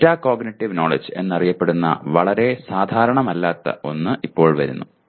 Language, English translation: Malayalam, Now come something not very commonly known is Metacognitive Knowledge